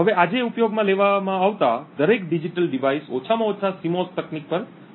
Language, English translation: Gujarati, Now every digital device that is being used today works on CMOS technology atleast